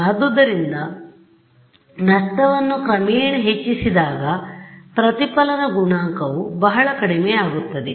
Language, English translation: Kannada, Increase the loss gradually the reflection coefficient is greatly reduced ok